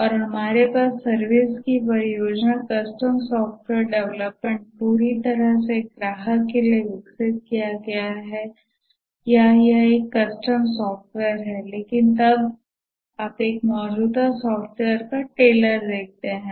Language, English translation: Hindi, And in the services project we have custom software development, develop entirely for a customer, or it's a custom software but then you tailor an existing software